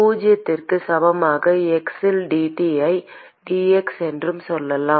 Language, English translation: Tamil, We can say dT by dx at x equal to zero